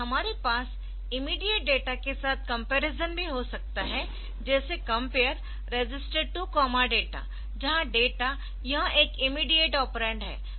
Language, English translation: Hindi, So, we can also have comparison with immediate data like compare a compare register comma data where this data is an immediate operand